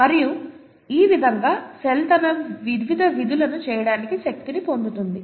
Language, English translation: Telugu, And this is how the cell gets its energy to do its various functions